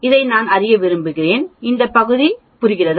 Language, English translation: Tamil, I want to know this area, this area understand